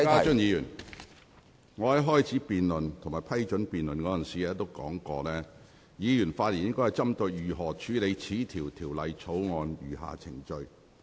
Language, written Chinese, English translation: Cantonese, 邵家臻議員，我在批准這項辯論時已經說明，議員發言時應針對如何處理《條例草案》的餘下程序。, Mr SHIU Ka - chun as I said in granting permission for this debate Members should speak on how the remaining proceedings of Bill should be dealt with